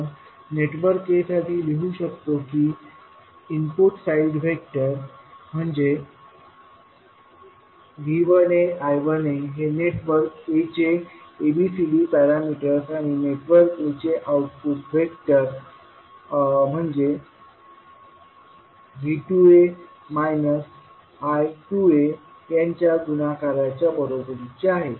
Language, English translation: Marathi, We can write for network a as V 1a I 1a are the input side vector equal to ABCD of network a into V 2a and minus I 2a that is the output vector for the network a